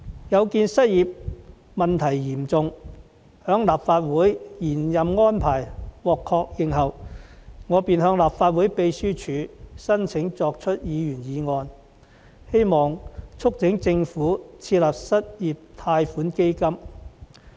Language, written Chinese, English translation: Cantonese, 有見失業問題嚴重，在立法會延任安排獲確認後，我便向立法會秘書處申請提出議員議案，希望促請政府設立失業貸款基金。, In view of the grave unemployment problem after the extension of the Legislative Councils term of office was confirmed I applied to the Legislative Council Secretariat to propose a Members motion to urge the Government to set up an unemployment loan fund